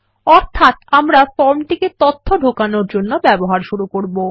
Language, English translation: Bengali, Meaning we will start using the form for data entry